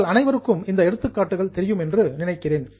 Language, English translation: Tamil, I think you all know the examples, but just have a look